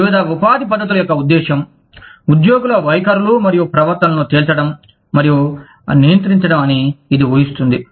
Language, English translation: Telugu, This assumes that, the purpose of various employment practices, is to elicit and control, employee attitudes and behaviors